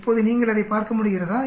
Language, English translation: Tamil, Now can you see that